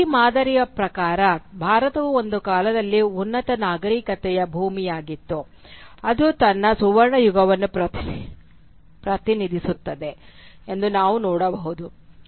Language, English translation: Kannada, And we can see that according to this pattern, India was once a land of high civilisation which represented its golden age